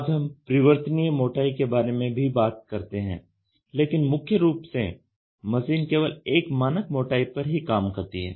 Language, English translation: Hindi, Today we also talk about variable thickness, but primarily the machine is expected to do a standard thickness only